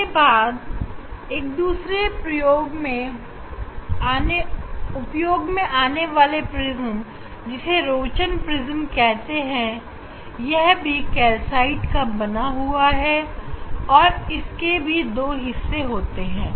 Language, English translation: Hindi, next there are another prism very useful it is called Rochon prism, Rochon prism, it is the again calcite prism, it is the made of calcite